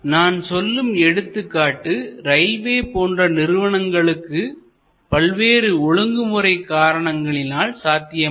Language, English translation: Tamil, But it is possible, not in case of may be railways, because of various regulatory reasons